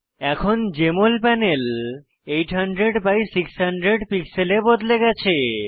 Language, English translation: Bengali, Now the Jmol panel is resized to 800 by 600 pixels